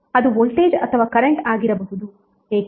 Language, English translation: Kannada, That may be the voltage or current why